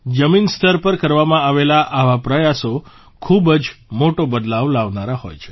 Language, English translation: Gujarati, Such efforts made at the grassroots level can bring huge changes